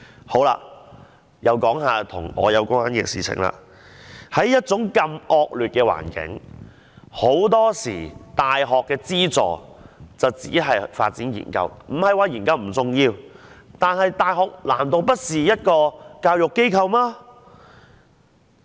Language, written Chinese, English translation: Cantonese, 再說一些與我有關的事情，在這麼惡劣的環境下，很多時大學資助只是發展研究——我不是說研究不重要——但難道大學不是教育機構嗎？, Let me talk about something which concerns myself . Under such an adverse situation too often the subsidies to universities are only allocated for research purposes―I am not saying that research work is not important―but are universities not education institutions?